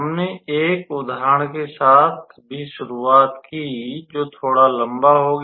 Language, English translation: Hindi, We also started with one example which turned out to be a little bit long